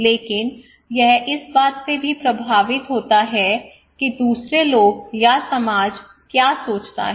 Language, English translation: Hindi, But this is also influenced by what other people think my society thinks, my friends thinks right